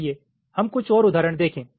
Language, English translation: Hindi, ok, lets look at some more examples